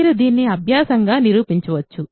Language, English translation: Telugu, You can prove this as an exercise